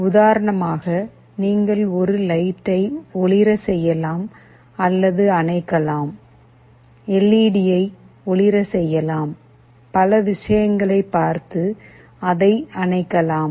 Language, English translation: Tamil, Like for example, you can turn on or turn off a light, you can glow an LED, you can turn it off depending on so many things